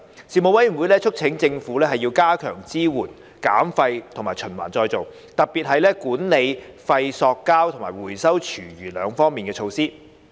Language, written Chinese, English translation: Cantonese, 事務委員會促請政府加強支援減廢及循環再造，特別是管理廢塑膠及回收廚餘兩方面的措施。, The Panel urged the Government to strengthen its support for waste reduction and recycling particularly the measures on waste plastics management and food waste recycling